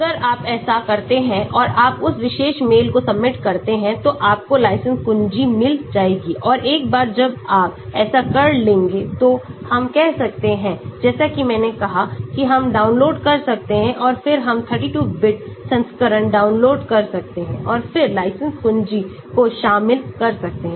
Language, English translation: Hindi, So, if you do that and you submit to that particular mail, you will get the license key and once you do that we can download like I said we can download and then , we can download the 32 bit version and then incorporate the license key